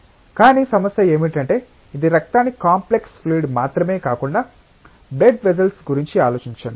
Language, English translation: Telugu, But the problem is that it is not just the issue of blood as a complex fluid, but think of blood vessels